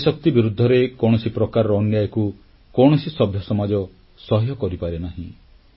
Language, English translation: Odia, No civil society can tolerate any kind of injustice towards the womanpower of the country